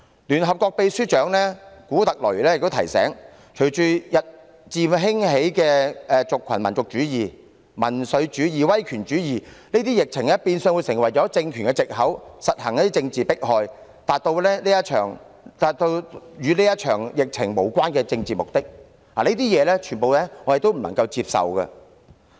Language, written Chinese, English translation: Cantonese, 聯合國秘書長古特雷斯亦提醒，隨着日漸興起的族群民族主義、民粹主義及威權主義，疫情變相會成為政權實行政治迫害的藉口，從而達到與這場疫情無關的政治目的，以上種種均是我們所不能接受。, The Secretary - General of the United Nations Antonio GUTERRES has also reminded that with the emergence of ethnic nationalism populism and authoritarianism the epidemic situation would become an excuse for a ruling regime to carry out political persecution thereby achieving political purposes not related to the current epidemic